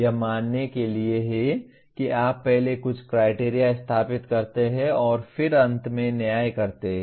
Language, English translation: Hindi, That is for accepting it you first establish some value criteria and then finally judge